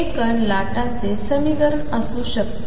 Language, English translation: Marathi, Can this be equation for the particle waves